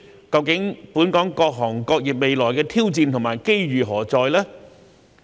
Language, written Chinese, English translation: Cantonese, 究竟本地各行各業未來的挑戰和機遇何在呢？, Where will be the future challenges and opportunities of Hong Kongs various trades and industries after all?